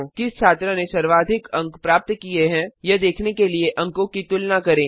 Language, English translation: Hindi, Compare the marks to see which student has scored the highest